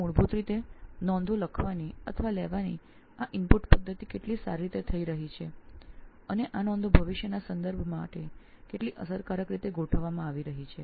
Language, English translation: Gujarati, So basically how well this input method of writing or taking down notes is happening and how efficiently these notes are being organized for future reference